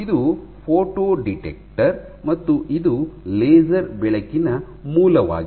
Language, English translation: Kannada, So, this is a photo detector and this is your laser source